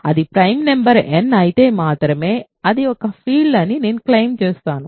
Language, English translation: Telugu, I claim it is a field if and only if it is a prime number n is a prime number